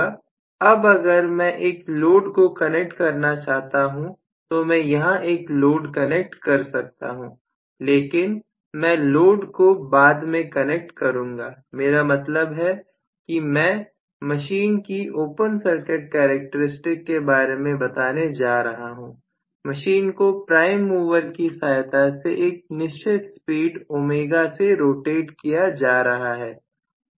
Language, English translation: Hindi, Now if I want to connect a load I can definitely connect a load here, but I would prefer to connect the load a little later what I mean is let us say I am going to have the open circuit characteristics of the machine is somewhat like this of course the machine has to be driven at a particular speed ω by a prime mover